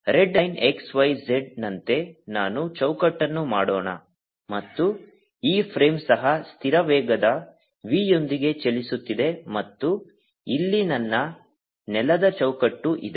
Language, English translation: Kannada, let me make a frame by, as red line, x, y, z, and this frame, therefore, is also moving with constant velocity v, and here is my ground frame